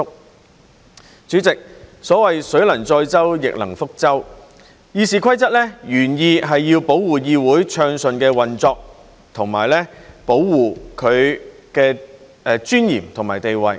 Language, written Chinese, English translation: Cantonese, 代理主席，所謂"水能載舟，亦能覆舟"，《議事規則》原意是要保護議會暢順運作，以及保護其尊嚴和地位。, Deputy President it is said that water can carry a boat and can also sink a boat . RoP are originally intended to ensure the smooth operation of the Council and safeguard its dignity and standing